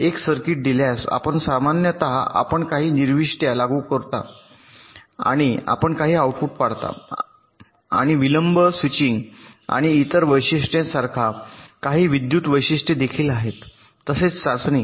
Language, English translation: Marathi, given a circuit, you typically you apply some inputs, you observe some outputs and also there are some electrical characteristics, like the delay, switching and other characteristics also you test